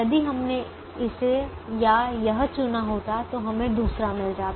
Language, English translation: Hindi, if we had chosen this or this, we would have got the other